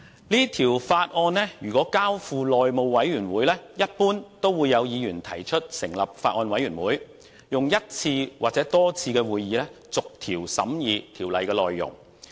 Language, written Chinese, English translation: Cantonese, 如果把這項《條例草案》交付內務委員會，一般會有議員提出成立法案委員會，以一次或多次會議逐條審議《條例草案》內容。, If the Bill is referred to the House Committee Members generally will propose the establishment of a Bills Committee to scrutinize each clause of the Bill in one or multiple meetings